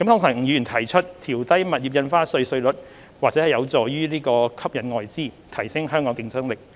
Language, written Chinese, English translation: Cantonese, 吳議員提出調低物業印花稅稅率或有助吸引外資，提升香港的競爭力。, Mr NG suggested that lowering the rates of stamp duty on property might help attract foreign investments and enhance Hong Kongs competitiveness